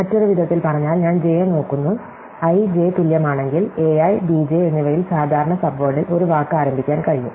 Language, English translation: Malayalam, So, in other words I look at i j, if i j is equal, then there is possible to start a word at common subword at a i and b j